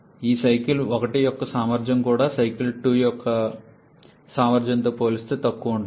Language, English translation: Telugu, Efficiency for this cycle 1 also we will be lesser compared to the efficiency for the cycle 2